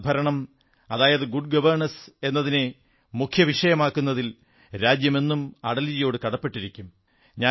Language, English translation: Malayalam, The country will ever remain grateful to Atalji for bringing good governance in the main stream